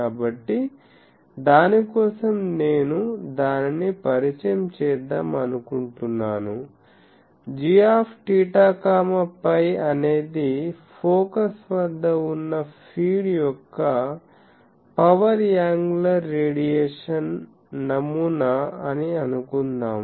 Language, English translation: Telugu, So, for that let me introduce that, suppose g theta phi is the power angular radiation pattern of the feed located at the focus